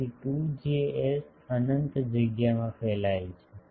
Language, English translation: Gujarati, So, 2 Js is radiating into an unbounded space